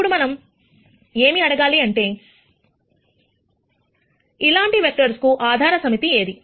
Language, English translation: Telugu, Now, what we want to ask is, what is the basis set for these kinds of vectors